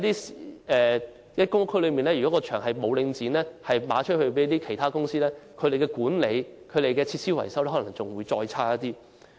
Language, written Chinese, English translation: Cantonese, 如果公共屋邨的場地被領展出售予其他公司，這些場地的管理和設施維修可能會變得更差。, Should the venues of public housing estates be sold to other operators the management of these venues and the maintenance of their facilities might become even worse